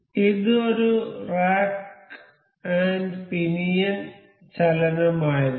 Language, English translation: Malayalam, So, this was rack and pinion motion